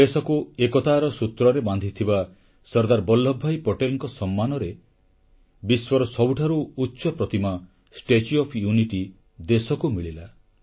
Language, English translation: Odia, In honour of SardarVallabhbhai Patel who bonded the entire country around a common thread of unity, India witnessed the coming up of the tallest statue in the world, 'Statue of Unity'